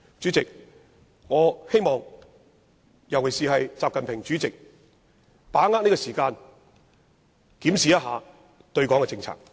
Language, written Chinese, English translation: Cantonese, 主席，我希望國家主席習近平會把握時間，檢視對港政策。, President I hope that President XI Jinping would seize the time to review the policy towards Hong Kong